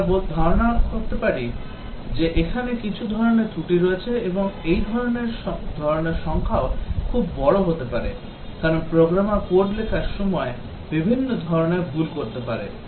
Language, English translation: Bengali, We can imagine that there are certain types of faults and the number of types can be also very large, because a programmer can do many types of mistakes while writing code